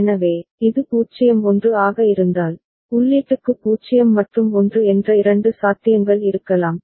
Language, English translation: Tamil, So, if it is 0 1, then there could be two possibilities 0 and 1 for the input